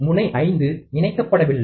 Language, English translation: Tamil, Pin 5 is not connected